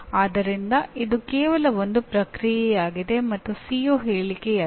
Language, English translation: Kannada, So it is only a process and not themselves they are not it is not a CO statement